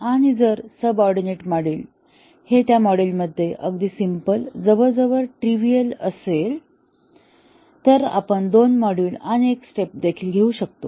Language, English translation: Marathi, And if the subordinate module is very simple, almost trivial in module then we might even take two modules and one step